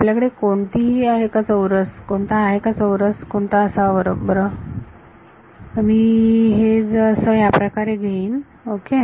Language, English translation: Marathi, Now do you have a hint has to what a square right, so if I take it like this ok